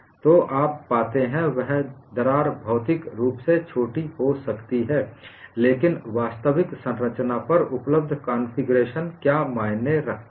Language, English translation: Hindi, What you find is, a crack can be shorter physically, but what configuration it is available on the actual structure also matters